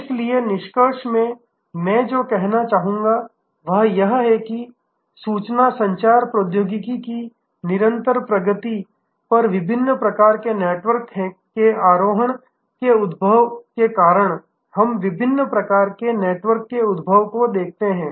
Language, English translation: Hindi, So, in conclusion, what I would like to say is that increasingly we see emergence of different kinds of networks due to emergence of different types of network riding on continuing advancement of information communication technology